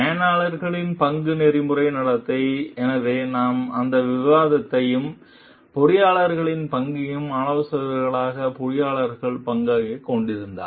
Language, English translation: Tamil, And role of managers for the ethical conducts so, because we have had that discussion and role of engineers as managers role of engineers as consultants